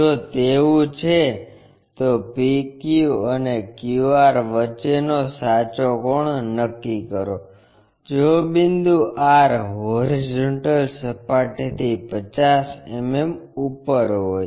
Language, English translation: Gujarati, If that is the case, determine the true angle between PQ and QR, if point R is 50 mm above horizontal plane